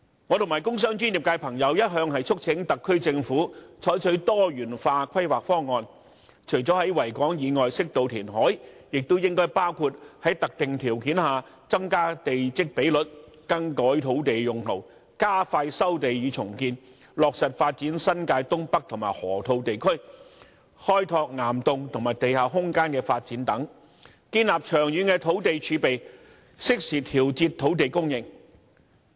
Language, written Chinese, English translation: Cantonese, 我和工商專業界別的朋友一向促請特區政府採取多元化規劃方案，除了在維港以外適度填海，亦應該包括在特定條件下增加地積比率、更改土地用途、加快收地與重建、落實發展新界東北和河套地區、開拓岩洞和地下空間的發展等，建立長遠的土地儲備，適時調節土地供應。, Members of the industrial commercial and professional sectors and I have all along urged the SAR Government to adopt a diversified planning proposal . Apart from reclamation outside the Victoria Harbour on an appropriate scale it should also include increasing the plot ratio subject to specified conditions changing land use expediting land resumption and redevelopment implementing the development of the North East New Territories and the Loop and exploring the development of rock caverns and underground space with a view to building up a long - term land reserve and adjusting land supply in a timely manner